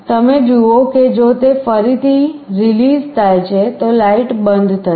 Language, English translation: Gujarati, You see if it is released again light will turn off